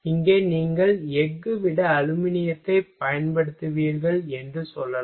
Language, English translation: Tamil, Here you can say that if you will use aluminum rather than a steel